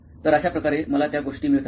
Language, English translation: Marathi, So this is how I get those things